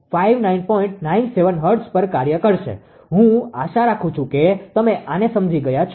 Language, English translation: Gujarati, 97 hertz I hope you have understood this one, right